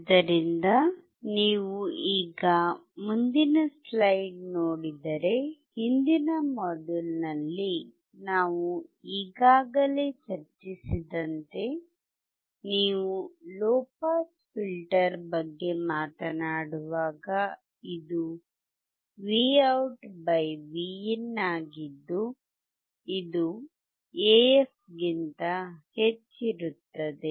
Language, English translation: Kannada, We have already discussed in the last module, that when you talk about low pass filter, this would be Vout / Vin would be greater than AF